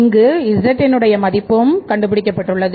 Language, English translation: Tamil, This is a value of z